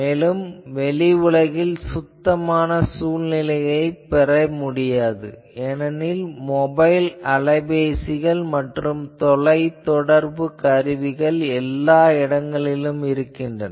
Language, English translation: Tamil, Then in outside today it is very difficult to get a clean environment because, there are mobile phones everywhere there are various communications everywhere